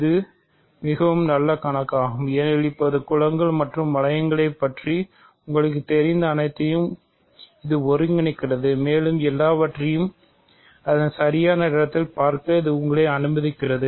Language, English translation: Tamil, So, this is a very nice problem because, it now combines everything that you know about groups and rings and it allows you to see everything in its proper place